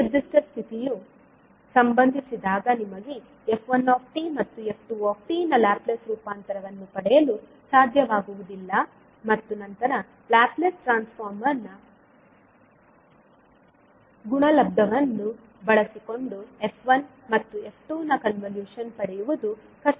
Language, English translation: Kannada, So when this particular condition happens you will not be able to get the Laplace transform of f1t and f2t and then getting the convolution of f1 and f2 using the Laplace transform product, would be difficult